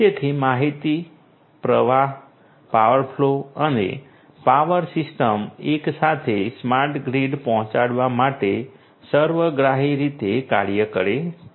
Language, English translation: Gujarati, So, information flow, power flow and power system together holistically works to offer to deliver a smart grid